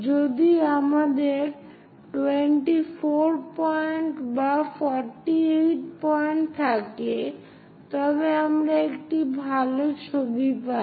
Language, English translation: Bengali, If we have 24 points or perhaps 48 points, we get better picture